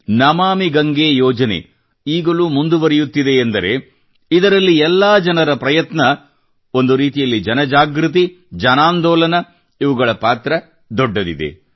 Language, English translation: Kannada, The Namami Gange Mission too is making advances today…collective efforts of all, in a way, mass awareness; a mass movement has a major role to play in that